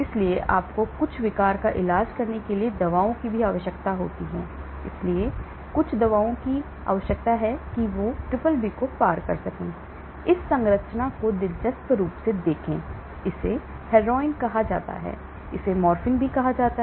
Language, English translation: Hindi, so you need also drugs to treat certain disorder, so you need some drugs which can cross the BBB , interesting look at this structure, this is called heroin, this is called morphine